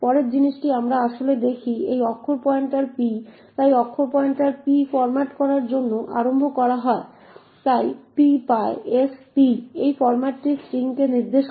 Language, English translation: Bengali, The next thing we actually look at is this character pointer p, so character pointer p is initialised to format, so therefore p gets…s p is efficiency pointing to this format string